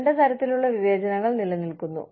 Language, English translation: Malayalam, Two types of discrimination, that exist